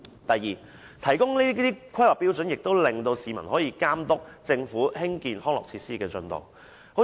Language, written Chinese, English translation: Cantonese, 第二，提供《規劃標準》可以讓市民監督政府興建康樂設施的進度。, Second the public need HKPSG to monitor the progress of the Government on constructing recreational facilities